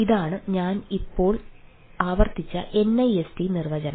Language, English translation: Malayalam, this is the nist definition i just repeated